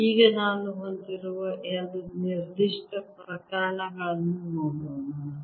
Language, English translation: Kannada, let's now look at two particular cases